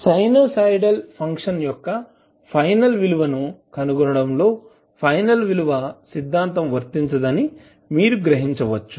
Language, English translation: Telugu, So you can summarize that the final value theorem does not apply in finding the final values of sinusoidal functions